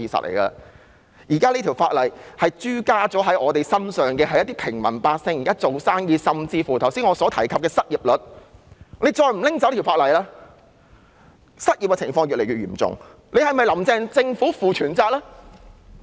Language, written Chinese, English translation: Cantonese, 現時限聚令已加諸在平民百姓和做生意的人身上，甚至影響到我剛才提及的失業率，政府再不取消這項附屬法例，失業情況會越來越嚴重，是否"林鄭"政府負全責呢？, The social gathering restriction is imposed on the general public and all business operators . It even affects the unemployment rate which I just mentioned . The unemployment rate will go further up if the Government does not repeal the subsidiary legislation